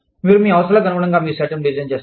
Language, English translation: Telugu, You design your set up, according to your needs